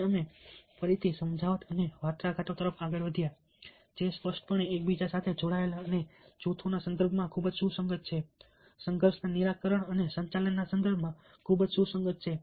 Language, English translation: Gujarati, and we moved on to persuasion and negotiation, again clearly closed link with one another, very relevant in the context of groups, very relevant in the context of, let say, conflict resolution and management